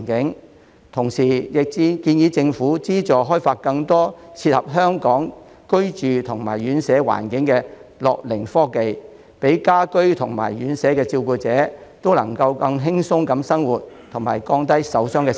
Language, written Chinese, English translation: Cantonese, 我同時建議政府資助開發更多切合香港的居住及院舍環境的樂齡科技，讓家居及院舍的照顧者能更輕鬆地生活及減低受傷的機會。, I also suggest the Government to subsidize the development of gerontechnology suitable for use in Hong Kongs living environment and RCHs so that carers living at home and in RCHs can live easier and are less prone to injuries